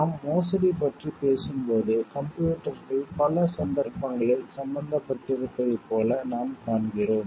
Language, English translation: Tamil, When we talk of embezzlement, so, we find like computers are in many cases are involved